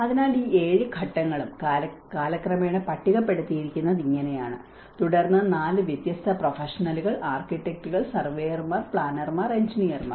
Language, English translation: Malayalam, So, this is how all these 7 phases have been listed out by time and then 4 different professionals, architects, surveyors, planners, engineers